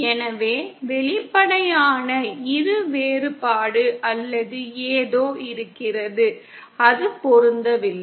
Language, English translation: Tamil, So there is an apparent dichotomy or something, it is not matching